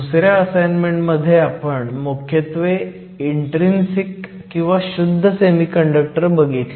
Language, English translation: Marathi, In assignment 2, we focused exclusively on intrinsic or pure semiconductors